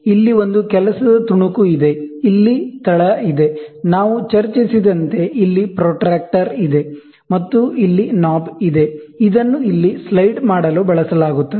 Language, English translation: Kannada, Here is a work piece, so here is the base, whatever we talked about, here is the protractor, and here is the knob, this is used to slide here